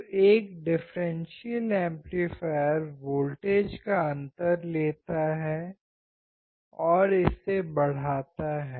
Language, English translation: Hindi, So, differential amplifier takes the difference of voltage and amplify it